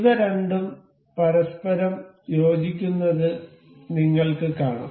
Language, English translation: Malayalam, You can see these two getting aligned to each other